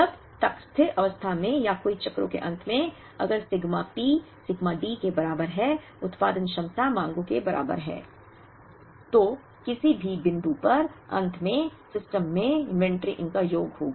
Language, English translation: Hindi, As long as at steady state or at the end of several cycles, if sigma P is equal to sigma D production capacity is equal to the demands, then at the end at any point, the inventory in the system will be a sum of these